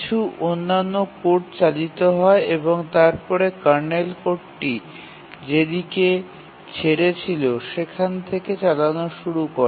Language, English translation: Bengali, Some other code runs and then starts running the kernel code where it left